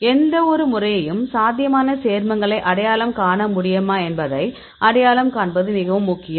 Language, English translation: Tamil, So, it is very important to identify whether these any method can potentially identify the probable compounds